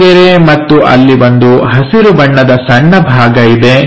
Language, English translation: Kannada, So, that line and there is a green patch